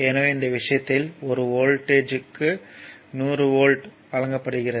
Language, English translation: Tamil, So, so, in this case a voltage is given your 100, 100 volt that is 100 volt